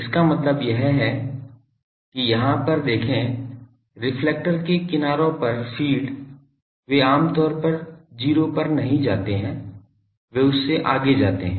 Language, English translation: Hindi, That means, look at here that, the feed at the edges of the reflector they generally do not go to 0 they goes beyond that